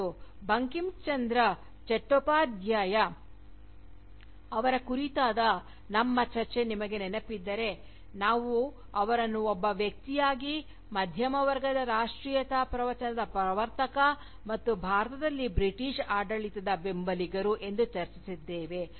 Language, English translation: Kannada, And, if you remember, our discussion of Bankim Chandra Chattopadhyay, you will remember, how we discussed him, both as a figure, who pioneered the Discourse of Middle Class Nationalism, and also a supporter of British rule in India